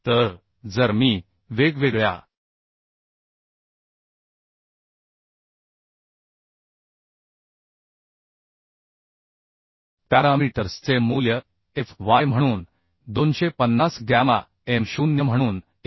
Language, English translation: Marathi, 5 right So if I put the value of different parameters as fy as 250 gamma m0 as 1